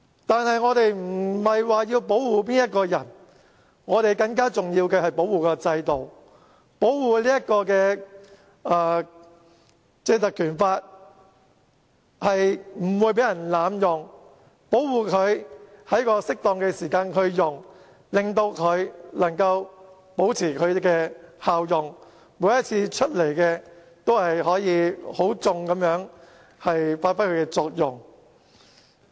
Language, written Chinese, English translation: Cantonese, 但是，我們不是要保護誰，更加重要的是要保護制度，保護《立法會條例》不會被濫用，保護它在適當的時間使用，令它能夠保持其效用，每次都可以很好地發揮它的作用。, We will not protect anyone . What is more important is that we should protect the system and the Legislative Council Ordinance to prevent it from being abused and to ensure its efficacy by invoking it at the right time so that it may perform its functions properly